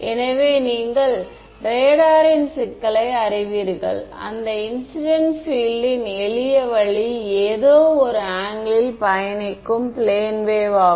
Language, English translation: Tamil, So, you know radar problem for example, the simplest way of incident field is a plane wave travelling at some angle